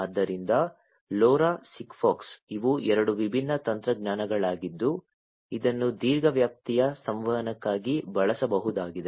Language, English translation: Kannada, So, LoRa, SIGFOX these are two different technologies that could be used for long range communication